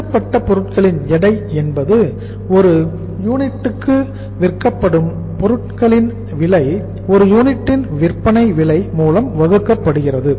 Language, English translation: Tamil, Weight of finished goods, and the weight of finished goods is cost of goods sold per unit, cost of goods sold per unit divided by selling price per unit, selling price per unit